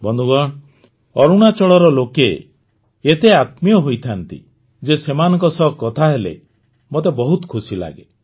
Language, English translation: Odia, Friends, the people of Arunachal are so full of warmth that I enjoy talking to them